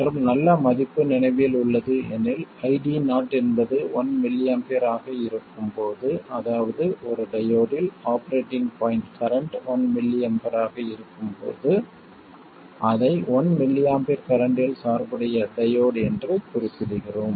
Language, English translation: Tamil, And a good value to remember is that when ID 0 is 1 millie amp, that is when the operating point current in a diode is 1 millie amp, we refer to it as the diode being biased at a current of 1 millie amp